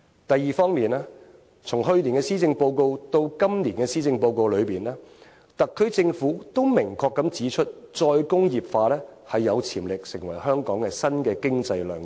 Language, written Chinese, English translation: Cantonese, 第二方面，從去年的施政報告到今年的施政報告，特區政府都明確指出再工業化有潛力成為香港新的經濟亮點。, Second from last years to this years Policy Addresses the SAR Government has expressly pointed out the potential of re - industrialization as the next bright spot of Hong Kongs economy